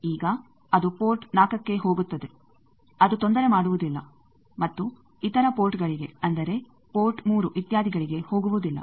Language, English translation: Kannada, Now, that will go to port 4 that will not disturb and come to other ports, like port 3 etcetera